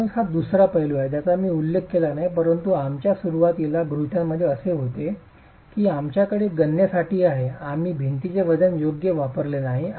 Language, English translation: Marathi, So, this is if the other aspect that I didn't mention but was there in our initial assumptions is for our calculations we have not used the self weight of the wall